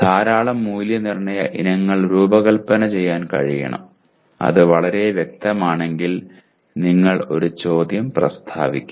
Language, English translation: Malayalam, Should be able to design a large number of assessment items and if it is too specific you will end up stating one question